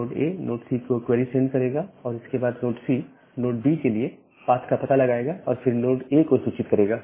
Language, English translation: Hindi, So, node A will send the query to node C and then node C will find out the path to node B and then informing to node A